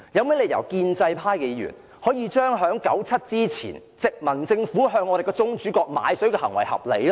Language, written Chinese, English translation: Cantonese, 為何建制派議員將1997年前殖民地政府向宗主國買水的行為合理化呢？, How can those Members of the pro - establishment camp think it is reasonable to purchase water from our sovereign state just like what the colonial government did before 1997?